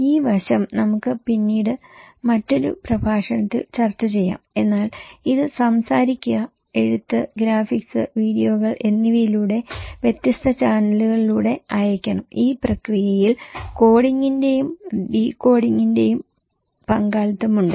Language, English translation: Malayalam, We can discuss this aspect, in later on another lecture but it should be sent through speaking, writing, graphics, videos through different channels right at least one and in this process there is a involvement of coding and decoding